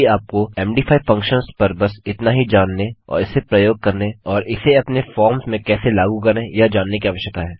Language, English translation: Hindi, Thats all you really need to know now on MD functions and how to use them and how to apply them to your forms